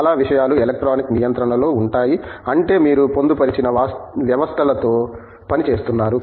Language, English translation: Telugu, Most of the things are electronically controlled which means, you are working with embedded systems